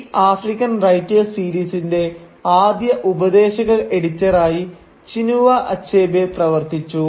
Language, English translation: Malayalam, And Chinua Achebe acted as a first advisory editor of this African Writers series